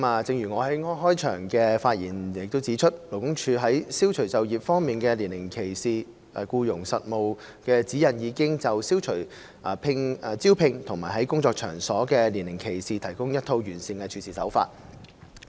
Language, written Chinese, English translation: Cantonese, 正如我在開場發言指出，勞工處在《消除就業方面的年齡歧視》僱傭實務指引已就消除招聘和在工作場所中的年齡歧視提供一套完善的處事方法。, As I have mentioned in my opening remarks LD has set forth the best practices for eliminating age discrimination in recruitment and workplace in the Practical Guidelines for Employers on Eliminating Age Discrimination in Employment